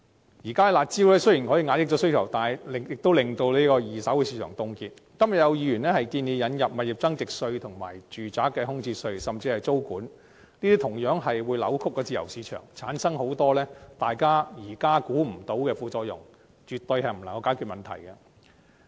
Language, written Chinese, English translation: Cantonese, 現時採用的"辣招"能大大遏抑需求，令二手市場凍結；剛才更有議員建議引入物業增值稅、住宅空置稅，甚至是租務管制；但這些措施同樣會扭曲自由市場，產生很多現時大家無法估計的副作用，絕對無法解決問題。, The curb measures currently implemented can significantly suppress demand thus freezing up the secondary market . Some Members even suggested just now the introduction of capital gains tax vacant property tax and even tenancy control . However all these measures will distort the market and create a lot of side effects which are inconceivable at this stage; such measures absolutely cannot resolve the problem